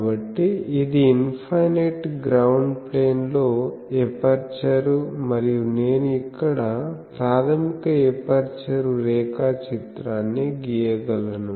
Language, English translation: Telugu, So, it is an aperture in an infinite ground plane and I can write here the basic aperture diagram